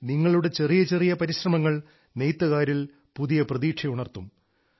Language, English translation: Malayalam, Even small efforts on your part will give rise to a new hope in weavers